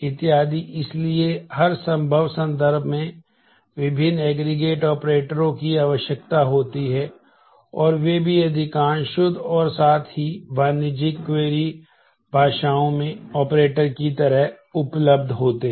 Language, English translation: Hindi, So, in every possible context different aggregate operators are frequently required and they are also available as operators in most of the pure as well as commercial query languages